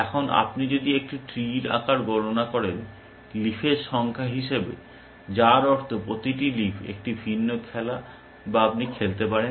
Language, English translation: Bengali, Now, if you count the size of a tree, as the number of leaves, which means, each leaf is a different game that you can play